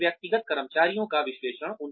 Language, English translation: Hindi, Then, analysis of individual employees